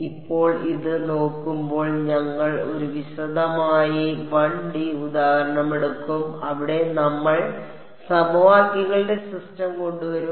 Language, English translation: Malayalam, Now, looking at this so, I mean we will take a detailed 1 D example where we will we will come up with the system of equations